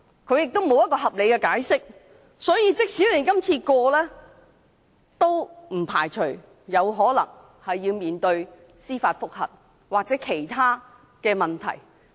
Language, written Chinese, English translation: Cantonese, 所以，這項修訂建議即使獲得通過，也不排除立法會可能要面對司法覆核或其他問題。, As a result even if this proposed amendment is passed we cannot rule out the possibility that the Legislative Council will be challenged by judicial review or confronted by other issues